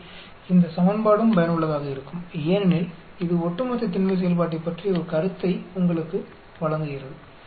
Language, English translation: Tamil, So, this equation is also useful because it gives you an idea about the Cumulative density function